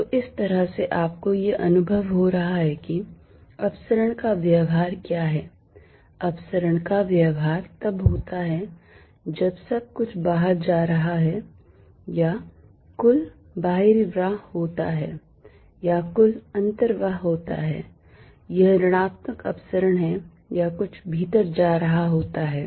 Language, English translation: Hindi, So, this kind of gives you a feel for what diversion behaviour is, divergence behaviour is going to be when something everything is going out or there is a net outflow or there is a net inflow this negative divergence or something going in